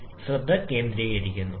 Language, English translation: Malayalam, Just focus on this portion